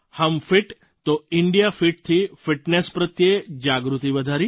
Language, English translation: Gujarati, Through 'Hum Fit toh India Fit', we enhanced awareness, towards fitness